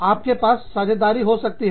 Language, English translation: Hindi, You could have partnerships